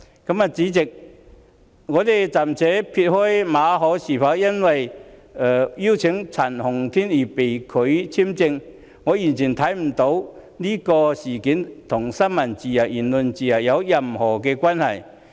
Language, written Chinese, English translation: Cantonese, 代理主席，我暫且撇開馬凱是否因為邀請陳浩天演講而被拒發簽證，因為我完全看不出這事與新聞自由、言論自由有任何關係。, Deputy President for the time being I will not talk about whether Victor MALLET was refused a visa because he invited Andy CHAN to give a speech because I totally fail to see that this incident has anything to do with freedom of the press and freedom of speech